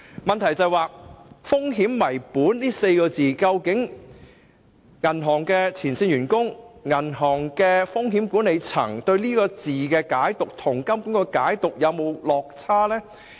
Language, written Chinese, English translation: Cantonese, 我的補充質詢是，究竟銀行的前線員工和風險管理層對"風險為本"這4個字的解讀與金管局的解讀是否有落差？, My supplementary question is whether there is discrepancy in the interpretation of the term risk - based between the frontline staff and risk management echelon of banks and HKMA